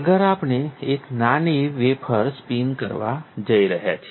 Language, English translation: Gujarati, Next, we are going to spin a small wafer